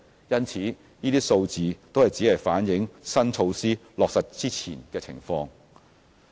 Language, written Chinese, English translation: Cantonese, 因此，那些數字只是反映新措施落實前的情況。, Therefore the figures only reflected the situation before the implementation of the new measures